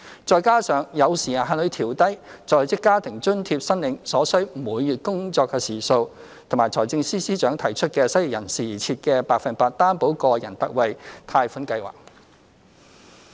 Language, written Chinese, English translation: Cantonese, 再加上有時限地調低在職家庭津貼申領所需每月工作時數，以及財政司司長提出為失業人士而設的百分百擔保個人特惠貸款計劃。, Added to these are the time - limited downward adjustment of the number of monthly working hours for the Working Family Allowance WFA and the Special 100 % Loan Guarantee for Individuals Scheme introduced by the Financial Secretary for the unemployed